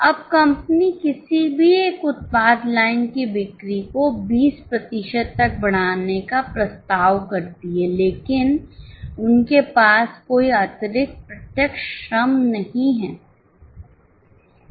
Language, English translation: Hindi, Now, company proposes to increase the sale of any one product line by 20%, but they don't have extra direct labour